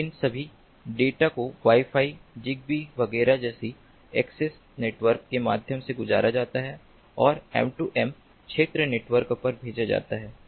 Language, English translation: Hindi, so all these data are passed through an access network like wi fi, zigbee, etcetera, and are sent to the m two m area network